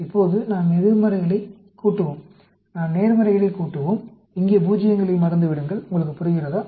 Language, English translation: Tamil, Now, let us add up the negatives; let us add up the positives; forget about the zeroes here; do you understand